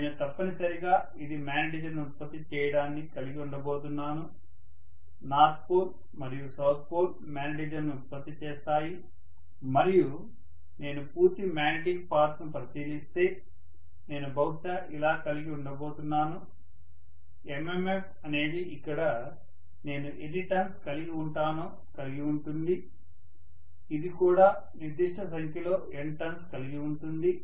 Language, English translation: Telugu, So I am essentially going to have this producing the magnetism, the North pole and South pole will produce magnetism and if I look at the complete magnetic path, I am probably going to have, so the MMF consists of how many ever number of turns I have here, this will also have certain number of turns M here and some current I is going to flow through this, same current I is probably going to flow through this as well